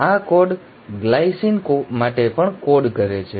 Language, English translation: Gujarati, This code also codes for a glycine